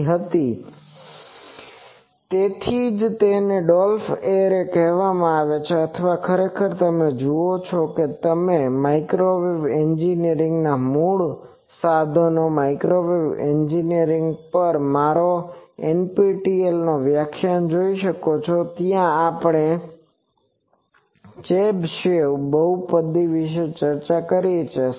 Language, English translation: Gujarati, So, that is why it is called Dolphs array or actually you see that we for that we will look into the I recall actually I think I we have seen it you can see my NPTEL lecture on the impedance matching, basic tools of microwave engineering where we have discussed about Chebyshev polynomials